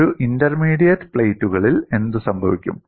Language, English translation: Malayalam, What happens in intermediate plates